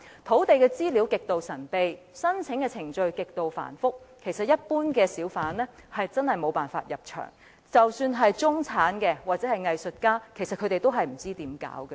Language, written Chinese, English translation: Cantonese, 土地資料極度神秘，申請程序極度繁複，一般小販真的無法入場，即使是中產人士或藝術家，也不知道應怎樣做。, Given the extremely mysterious land information and exceedingly complicated application procedures there is simply no way that ordinary hawkers can do business in a bazaar; even middle - class applicants or artists do not know what they should do